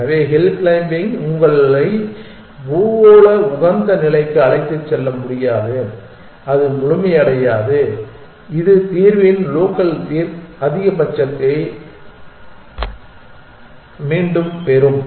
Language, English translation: Tamil, So, hill climbing cannot take you to the global optima it is not complete, it will get back of the local maxima quality of the solution